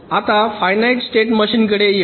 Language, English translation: Marathi, now let us come to finite state machines